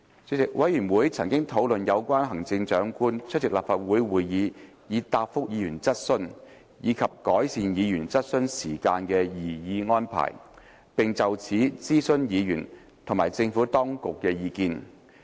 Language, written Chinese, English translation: Cantonese, 主席，委員會曾討論有關行政長官出席立法會會議以答覆議員質詢，以及改善議員質詢時間的擬議安排，並就此徵詢議員和政府當局的意見。, President the Committee discussed the proposed arrangements relating to the attendance of the Chief Executive at meetings of the Legislative Council to answer Members questions and the improvements to Members question time . Views were also sought from Members and the Administration on the proposed arrangements